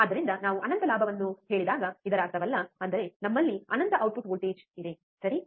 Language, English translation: Kannada, So, that does not mean that when we say infinite gain; that means, that we have infinite output voltage, alright